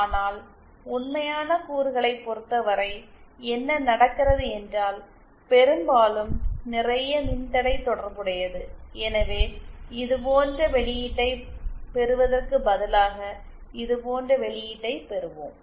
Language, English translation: Tamil, But in case of real elements, what happens is that there is often a lot of resistance associated, so instead of getting a response like this, we end up getting a response like this